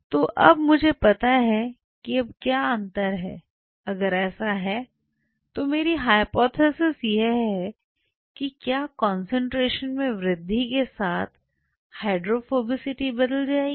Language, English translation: Hindi, So, now, I know now what is the difference, if at all so, my hypothesis is that whether with the increase in concentration the hydrophobicity or hydrophobicity will change